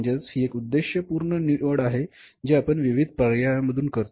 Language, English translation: Marathi, So it is the purposeful choice among the set of alternatives, right